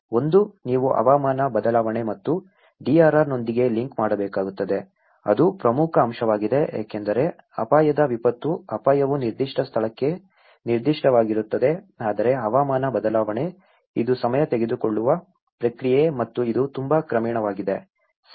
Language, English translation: Kannada, One is, you need to link with the climate change and DRR, that is an important component because risk disaster, risk is specific to a particular place but climate change, it is a time taking process and it is very gradual, right